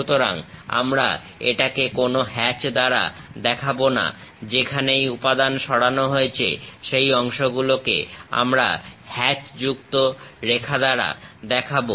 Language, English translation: Bengali, So, we do not show it by any hatch; wherever material has been removed that part we will show it by hatched lines